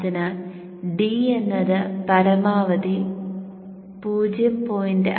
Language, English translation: Malayalam, So D is 0